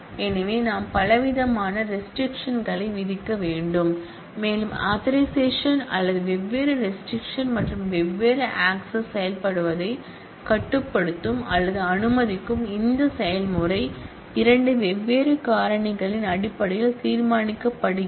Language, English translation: Tamil, So, we need to put variety of restrictions and as we will see that authorisation or this process of restricting or allowing different access and different authority to operate is decided based on two different factors